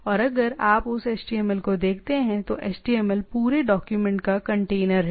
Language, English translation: Hindi, And if you look at that HTML, HTML are the container of the whole document